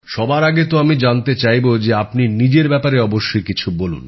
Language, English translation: Bengali, First of all, I'd want you to definitely tell us something about yourself